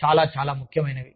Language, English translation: Telugu, Very, very, very important